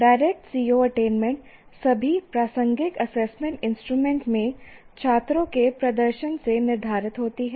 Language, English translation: Hindi, So, direct attainment of COs is determined from the performance of the performance of the students in all the assessment instruments